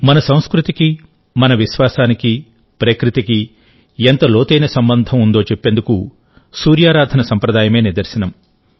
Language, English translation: Telugu, Friends, the tradition of worshiping the Sun is a proof of how deep our culture, our faith, is related to nature